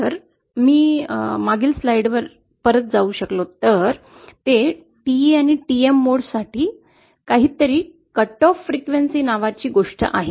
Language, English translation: Marathi, If I can go back to the previous slide, is that for TE and TM modes, they have something called a cut off frequency